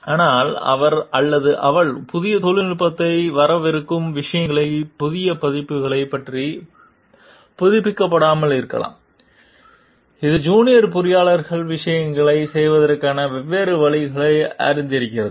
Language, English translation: Tamil, But, he or she may not be updated about the newer versions of thing coming up newer technologies coming up which the maybe the junior and engineer is more like updated about knows different ways of doing things